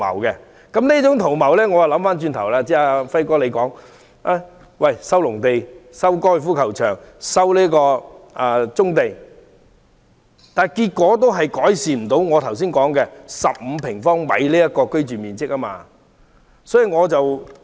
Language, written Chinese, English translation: Cantonese, 即使政府收回剛才"輝哥"提及的農地、高爾夫球場、棕地，也無法改善我剛才說的15平方米的人均居住面積。, Even if the Government resumes agricultural land the golf course and brownfield sites as mentioned by Brother Fai just now it will still fail to improve the average living space of 15 sq m per person